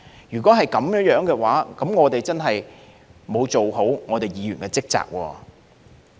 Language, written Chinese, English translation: Cantonese, 如果是這樣，我們真的沒有做好議員的職責。, If we do not do so then I must say we have failed in our duties and responsibilities as Members